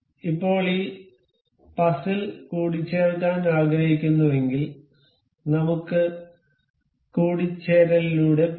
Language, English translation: Malayalam, Now, if we want to mate this this puzzle, we can go through mate